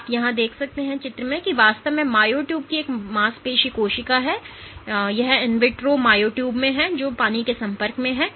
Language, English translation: Hindi, So, what you are looking at here is a muscle cell actually of myo tube it is a in vitro myo tube, which is exposed to water